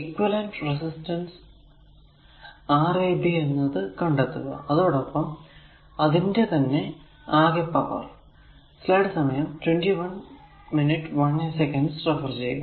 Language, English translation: Malayalam, So, find the equivalent resistance Rab right and the power deliveredby the same right